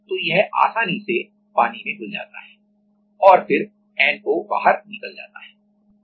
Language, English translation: Hindi, So, it easily get dissolved and then the NO goes out